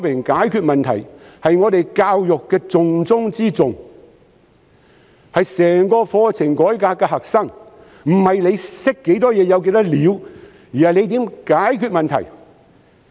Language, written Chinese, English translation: Cantonese, 解決問題是我們教育的重中之重，是整個課程改革的核心，不是懂得多少知識，而是怎樣解決問題。, Problem solving is of the utmost importance in our education and is also the focal point in the entire curriculum reform . It is not about how much knowledge you know but about how to resolve problems